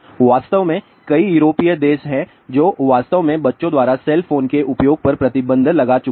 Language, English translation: Hindi, In fact, there are many European countries they have actually banned use of cell phone by children